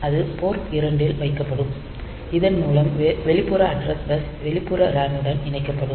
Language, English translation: Tamil, So, that will be put onto Port 2 because through that this external address bus will be connected to the external RAM